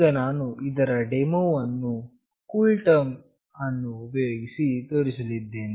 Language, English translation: Kannada, Now I will be showing you the demonstration of this using CoolTerm